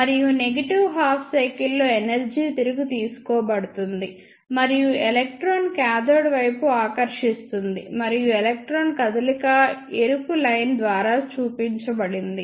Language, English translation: Telugu, And the negative half cycle that energy will be taken back and electron will be ah attracted towards the cathode and the electron will move something like this shown by redline